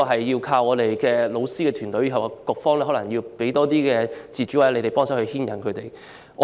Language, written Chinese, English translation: Cantonese, 要靠教師團隊，局方可能要給他們更多自主權或協助。, We rely on teachers to do so and the Policy Bureau may have to give them more independence and assistance